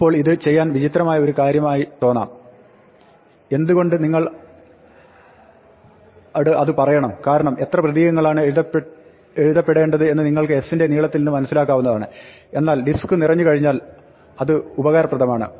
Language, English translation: Malayalam, Now, this may seem like a strange thing to do, why should it tell you because you know from the length of s what is number of character is written, but this is useful if, for instance, the disk is full